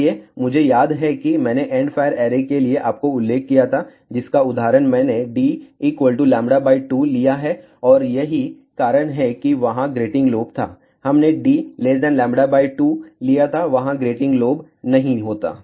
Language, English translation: Hindi, So, recall I did mention to you for endfire array that example I have taken d equal to lambda by 2 and that is why there was grating lobe, had we taken d less than lambda by 2 there would not have been a grating lobe